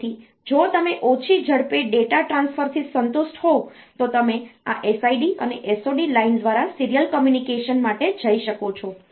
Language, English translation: Gujarati, So, if you are satisfied with low speed data transfer, you can go for the serial communication via this SID and SOD line